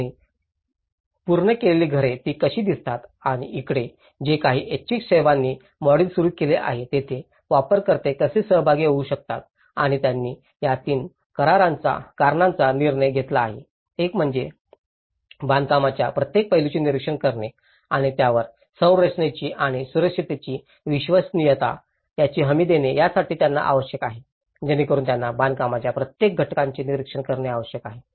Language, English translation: Marathi, And the completed houses is how they look like and here, whatever the voluntary services have initiated a model, where how do the users can participate and they have decided these three reasons; one is the users could observe every aspect of the construction, thus guaranteeing the reliability of the structure and safety, so that they need to observe every aspect of the construction